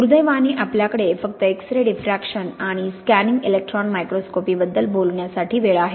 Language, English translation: Marathi, Unfortunately we only have time to talk about X ray diffraction and scanning electron microscopy here